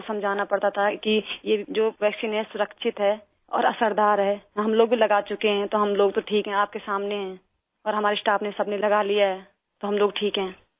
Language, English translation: Urdu, People had to be convinced that this vaccine is safe; effective as well…that we too had been vaccinated and we are well…right in front of you…all our staff have had it…we are fine